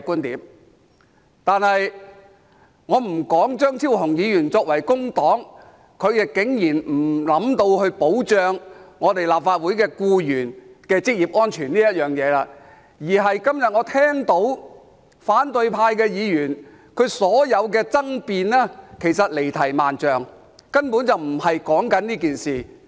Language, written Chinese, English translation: Cantonese, 然而，我先不說張超雄議員身為工黨成員，竟然沒有想過保障立法會僱員的職業安全，而今天我聽到反對派議員的所有爭辯其實離題萬丈，根本不是在說這件事。, However not to mention that Dr Fernando CHEUNG is a member of the Labour Party but he has never thought of safeguarding the occupational safety of the employees of the Legislative Council in the first place what I have heard today from all the arguments presented by Members of the opposition camp have actually strayed extremely far from the subject . They were not talking about this incident